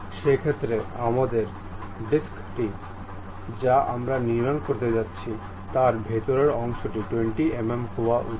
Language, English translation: Bengali, In that case our disc what we are going to construct inside of that portion supposed to be 20 mm